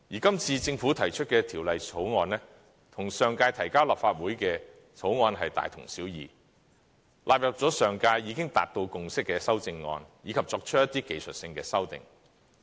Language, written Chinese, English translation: Cantonese, 今次政府提出的《條例草案》，與上屆提交立法會的2014年《條例草案》大同小異，納入了上屆已經達到共識的修正案，以及作出一些技術性的修訂。, The Bill currently proposed by the Government is almost the same as the Former Bill . It has incorporated the amendments on which consensuses had already reached at the last term and it has also made certain technical amendments